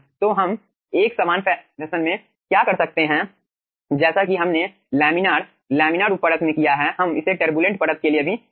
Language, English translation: Hindi, so what we can do in a similar fashion as we have done in laminar, turbulent laminar sub layer, we can also perform aah, this 1 aah